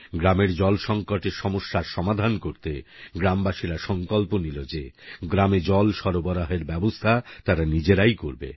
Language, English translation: Bengali, To tide over an acute water crisis, villagers took it upon themselves to ensure that water reached their village